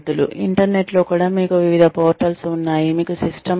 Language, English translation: Telugu, Even on the internet, you have various portals ,you have various websites,you have systems